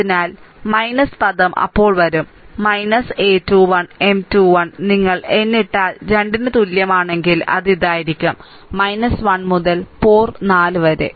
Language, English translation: Malayalam, So, minus term will come then minus a 2 1, M 2 1 if you put n is equal to 3, then it will be minus 1 to the power 4